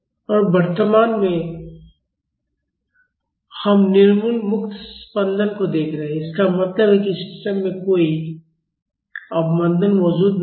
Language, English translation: Hindi, And currently we are looking at undamped free vibrations; that means, there is no damping present in the system